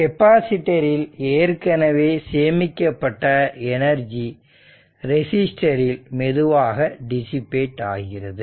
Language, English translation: Tamil, So, the energy already stored in the capacitor is gradually dissipated in the resistor